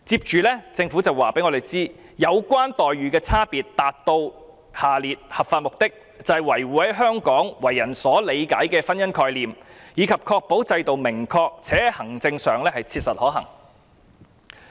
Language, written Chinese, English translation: Cantonese, 政府亦表示，有關差別待遇能達到合法目的，並能維護在香港為人所理解的婚姻概念以及確保制度是明確及切實可行的。, In the Governments view the differential treatment pursues the legitimate aims of protecting the concept of marriage as understood in Hong Kong as well as ensuring certainty and administrative workability